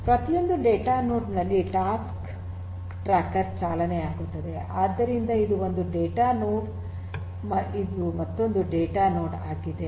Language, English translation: Kannada, In the task tracker on the other hand will run at each of these data nodes so, this is one data node, this is another data node